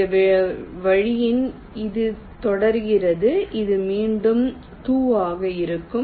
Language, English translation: Tamil, in this way it continues, it will be two, like this again